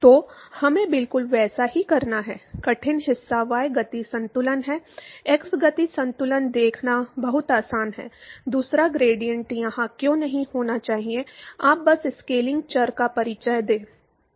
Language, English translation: Hindi, So, we have to do exactly the same, the tough part is the y momentum balance, x momentum balance is very easy to see, why the second gradient is should not be present here, you simply introduce the scaling variables